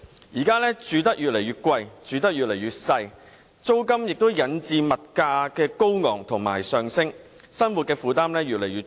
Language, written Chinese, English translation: Cantonese, 現時住屋越來越貴，越來越小，租金高企引致物價上升，生活負擔越來越重。, Nowadays as dwellings are getting more and more expensive but smaller and smaller and exorbitant rents are driving up prices peoples livelihood burden is becoming increasingly heavy